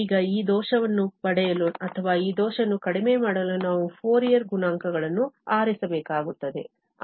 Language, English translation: Kannada, Now, we have to choose the Fourier coefficients to get this error or to minimize this error